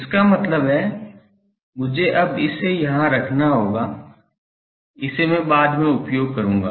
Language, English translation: Hindi, That means, I will have to now I put it here, this I will use later